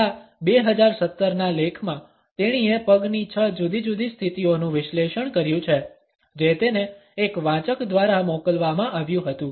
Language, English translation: Gujarati, In this 2017 article she has analyzed six different leg positions which were sent to her by a reader